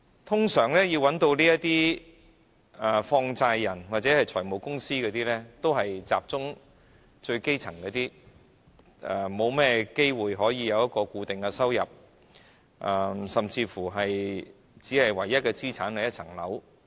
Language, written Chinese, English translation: Cantonese, 通常要找放債人或財務公司的，都是一些最基層的市民，他們很少有固定收入，甚至唯一的資產是一層樓。, Those who need to approach money lenders or finance companies are usually the grass roots . They rarely have a fixed income and their only asset may be a flat